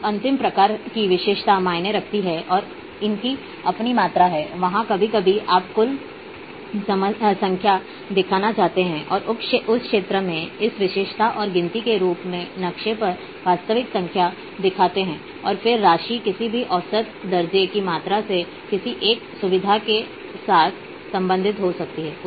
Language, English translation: Hindi, Now, the last type of attribute is counts and amounts there sometimes that you want to show the total numbers and in at that particular field as a attribute and count is actual number of features on the map and then, amount can be any measurable quantity associated with a feature